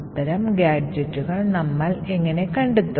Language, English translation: Malayalam, So how do we find such gadgets